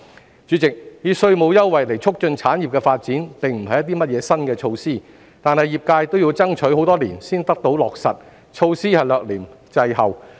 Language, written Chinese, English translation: Cantonese, 代理主席，以稅務優惠促進產業的發展並不是甚麼新措施，但業界要爭取多年才得以落實，措施略嫌滯後。, Deputy President while promoting the development of an industry with tax concessionary measures is nothing novel it has taken my industry years to lobby for these measures before they are actually implemented and they are thus lagging slightly behind